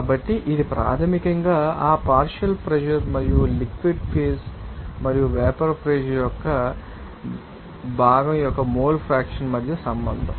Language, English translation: Telugu, So, this is basically a relation between that partial pressure and the mole fraction of that you know component in the liquid phase and vapor pressure